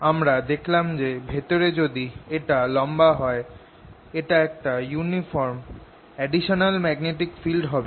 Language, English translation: Bengali, we just saw that inside, if it is a long one, its going to be a uniform additional magnetic field